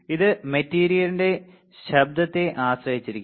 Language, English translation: Malayalam, It depends on the type of material